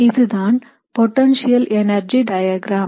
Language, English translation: Tamil, So this is a potential energy diagram